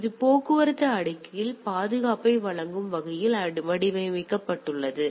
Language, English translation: Tamil, So, it is designed to provide security at the transport layer